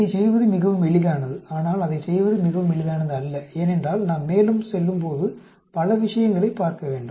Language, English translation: Tamil, It is very easy to do that, but it is not very easy to do that because we need to look at many many things as we go along